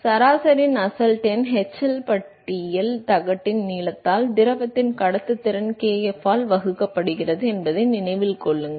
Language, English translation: Tamil, So, note that average Nusselt number is hLbar into the length of the plate divided by kf the conductivity of the fluid